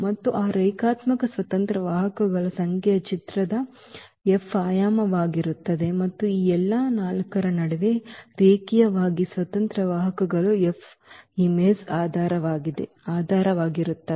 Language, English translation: Kannada, And the number of those linearly independent vectors will be the dimension of the image F and those linearly independent vectors among all these 4 will form basis of the image F